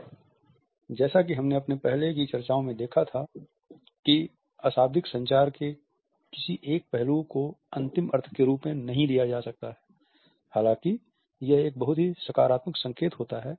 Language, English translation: Hindi, And as we had seen in our earlier discussions a single aspect of non verbal communication cannot be taken up as being the final meaning; however, it is a very positive indication